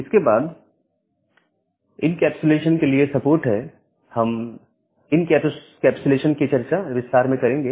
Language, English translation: Hindi, Then the support for encapsulation; we will discuss this encapsulation in details